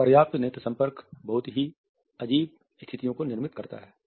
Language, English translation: Hindi, Inadequate eye contact results in very awkward situations